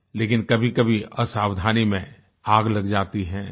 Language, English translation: Hindi, But, sometimes fire is caused due to carelessness